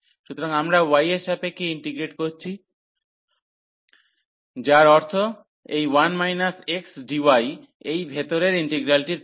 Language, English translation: Bengali, So, we are integrating with respect to y that means, after this integral of this 1 minus x dy the inner one